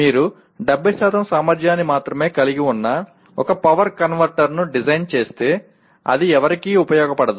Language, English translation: Telugu, If you design one power converter that has only 70% efficiency it is of absolutely no use to anybody